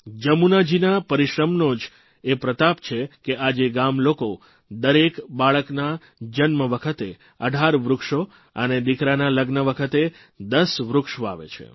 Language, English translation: Gujarati, It is a tribute to Jamunaji's diligence that today, on the birth of every child,villagersplant 18 trees